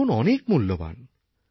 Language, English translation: Bengali, Life is very precious